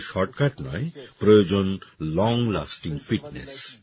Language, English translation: Bengali, You don't need a shortcut, you need long lasting fitness